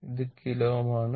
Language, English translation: Malayalam, It is kilo ohm